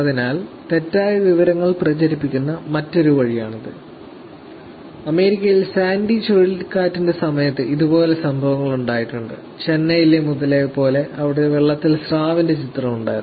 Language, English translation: Malayalam, So, this is another way by which actually such mis information is being spread and there have been incidences in the past where hurricane sandy in the US, where they had a picture with the shark in the water and this is crocodile in the water in the street in Chennai